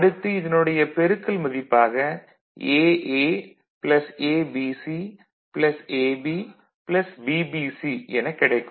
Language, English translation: Tamil, So, if you just get the product of this, then this is AA ABC AB plus BBC